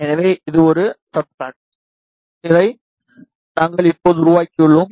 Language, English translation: Tamil, So, this is a substrate, which we made right now